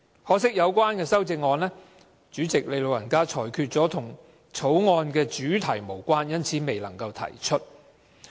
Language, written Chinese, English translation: Cantonese, 可惜該修正案被主席"老人家"裁決為與《條例草案》的主題無關而未能提出。, Regrettably the amendment was ruled by our dear President as irrelevant to the object of the Bill and cannot be proposed